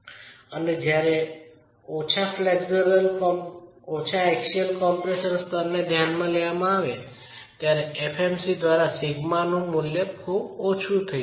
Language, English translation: Gujarati, And when you look at low axial compression levels, this value of sigma not by FMC can be very low